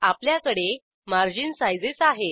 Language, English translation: Marathi, Next, we have margin sizes